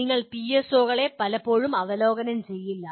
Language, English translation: Malayalam, You will not be reviewing PSOs ever so often